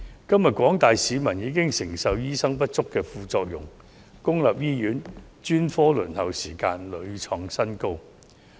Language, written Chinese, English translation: Cantonese, 今天廣大市民已承受醫生人手不足的副作用，公營醫院專科輪候時間屢創新高。, Today the general public are already suffering from the side effects of a shortage of doctors as the waiting time for consulting specialists in public hospitals has repeatedly reached new heights